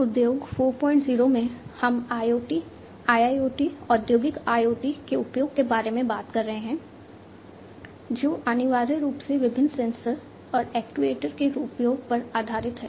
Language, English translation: Hindi, 0, we are talking about use of IoT, use of IIoT, Industrial IoT which essentially are heavily based on the use of different sensors and actuators